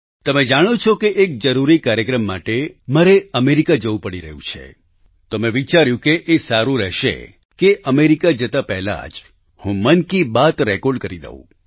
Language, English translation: Gujarati, You are aware that for an important programme, I have to leave for America…hence I thought it would be apt to record Mann Ki Baat, prior to my departure to America